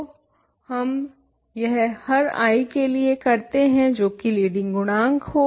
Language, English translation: Hindi, So, we do this for every i, what is the leading coefficient